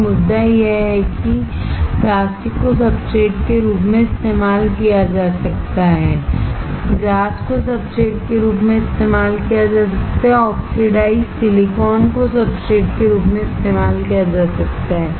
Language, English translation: Hindi, So, the point is plastic can be used as substrate, glass can be used as a substrate, oxidized silicon can be used as a substrate